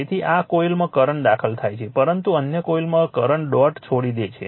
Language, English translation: Gujarati, So, current entering in one coil, but other coil current leaves the dot